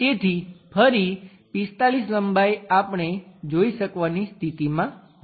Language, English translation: Gujarati, So, 45 length again we will be in a position to see